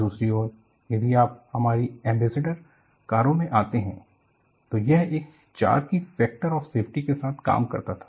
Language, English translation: Hindi, On the other hand, if you come to our Ambassador cars, this was operating with the factor of safety of 4